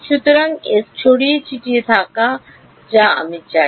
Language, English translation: Bengali, So, E s is scattered that is what I want